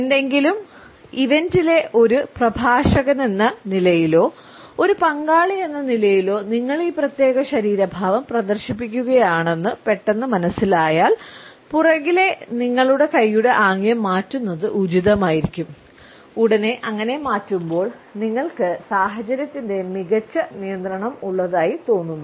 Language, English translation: Malayalam, If as a speaker in any event or as a participant you suddenly become aware that you are displaying this particular body posture, it would be advisable to change it to a relaxed palm in pump behind your back gesture and immediately you would feel that you have a better control of the situation